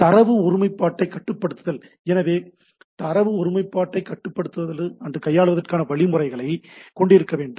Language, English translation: Tamil, Controlling data integrity so I need to have again mechanism procedure for handling data integrity